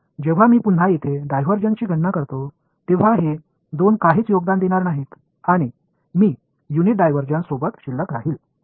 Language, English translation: Marathi, So, when I calculate the divergence over here again these two guys are going to contribute nothing and I am left with it has unit divergence